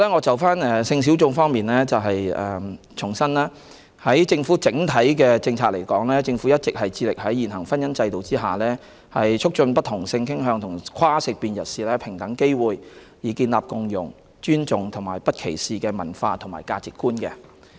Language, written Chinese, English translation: Cantonese, 就性小眾方面，我們重申在整體政策下，政府一直致力在現行婚姻制度下，促進不同性傾向和跨性別人士享有平等機會，以建立共融、尊重和不歧視的文化和價值觀。, With regard to the sexual minorities we reiterate that under the overall policy the Government is committed to promoting equal opportunities for people of different sexual orientations and transgenders under the existing marriage institution with a view to fostering the culture and values of inclusiveness mutual respect and non - discrimination